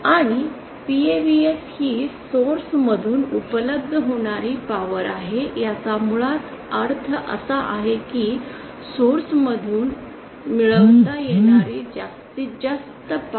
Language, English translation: Marathi, And PAVS is the power available from the source it basically means the maximum power that can be obtained from the source